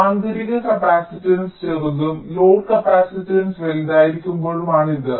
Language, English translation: Malayalam, this is for the case when the intrinsic capacitance are small and the load capacitance is larger